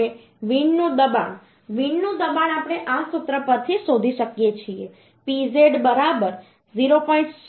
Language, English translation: Gujarati, 3 Now Wind Pressure Wind Pressure we can find out from this formula pz is equal to 0